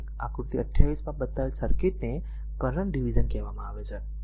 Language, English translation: Gujarati, So, circuit shown in figure 28 is called the current divider